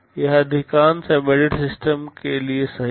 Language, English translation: Hindi, This is true for most of the embedded systems